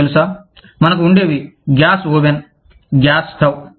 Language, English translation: Telugu, You know, we used to have, the gas oven, the gas stove